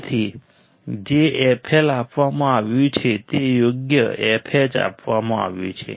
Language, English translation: Gujarati, So, what is given f L is given right f H is given